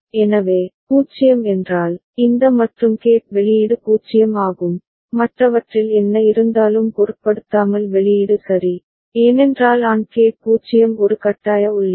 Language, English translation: Tamil, So, 0 means, these AND gate output is 0, irrespective of what is there in the other output ok, because for AND gate 0 is a forcing input